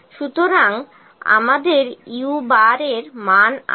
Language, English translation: Bengali, So, we have the value u bar here